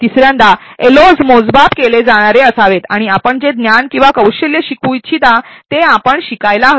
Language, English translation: Marathi, Thirdly the LOs should be measurable and specify the knowledge or skill that you want the learner to be able to demonstrate